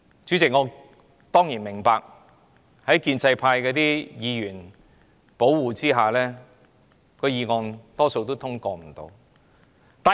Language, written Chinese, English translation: Cantonese, 主席，我當然明白在建制派議員的護航下，今天的議案大多數也不會獲得通過。, President I surely understand that with the pro - establishment camp playing convoy the motion will very likely be negatived